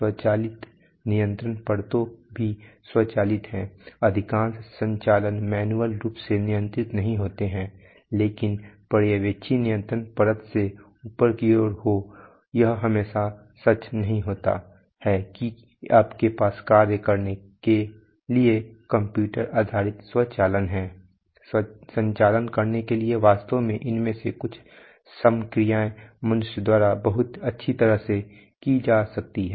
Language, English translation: Hindi, Automatic control layers are also automated there is there are, most operations are not manually controlled but from the Supervisory control layer upward it is not always true that you have, you know computer based automation for functioning the, the for performing the, the operations of that level in fact some of these operations may very well be done by human beings